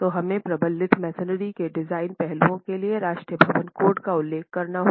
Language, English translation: Hindi, So for the time being, we have to refer to the National Building Code for design aspects of reinforced masonry